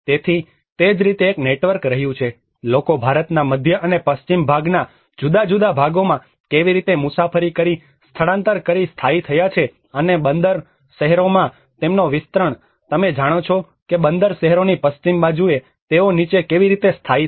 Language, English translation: Gujarati, So, like that there has been a network how people have traveled and migrated and settled in different parts of central and the western part of India and also their expansion in the port cities like you know on the western side of the port cities how they have settled down